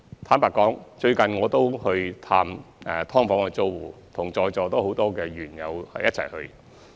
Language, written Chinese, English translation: Cantonese, 坦白說，最近我也有探訪"劏房"租戶，是與在座很多議員一起去的。, Frankly speaking I have recently visited SDU tenants together with many Members in this Council